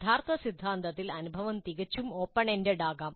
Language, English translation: Malayalam, So in the original theory the experience can be quite open ended